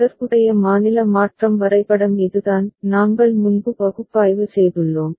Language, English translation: Tamil, The corresponding state transition diagram is this we have analyzed before